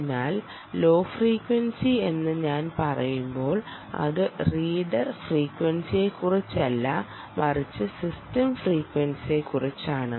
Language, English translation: Malayalam, ok, so when i say low frequency, i just dont mean that it is about the reader frequency but indeed the system frequency